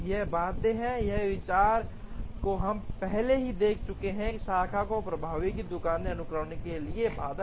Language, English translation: Hindi, This is fathomed by bound, we have already seen this idea in the branch and bound for flow shop sequencing